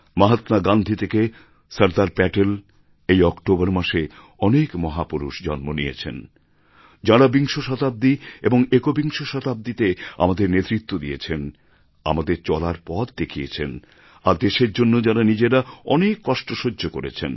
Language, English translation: Bengali, From Mahatma Gandhi to Sardar Patel, there are many great leaders who gave us the direction towards the 20th and 21st century, led us, guided us and faced so many hardships for the country